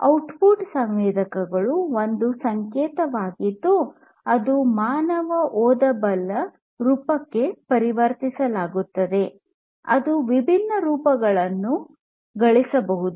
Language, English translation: Kannada, So, the output of the sensor is a signal which is converted to some human readable form